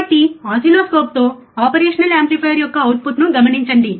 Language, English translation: Telugu, So, with an oscilloscope observe the output of operational amplifier